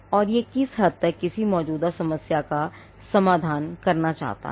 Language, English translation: Hindi, And to what extent it seeks to address an existing problem